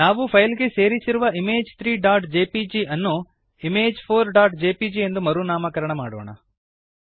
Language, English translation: Kannada, Lets rename the image Image 3.jpg, that we inserted in the file to Image4.jpg